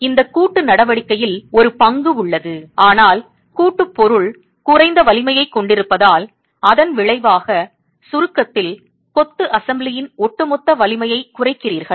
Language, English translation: Tamil, So, there is a role that this coaction is playing, but since the jointing material is of lower strength, as an outcome you have lowering of the overall strength of the masonry assembly in compression